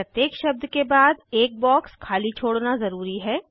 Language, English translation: Hindi, A blank box must be left after each word